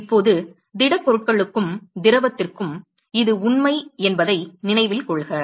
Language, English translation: Tamil, Now, note that this is true for solids and liquid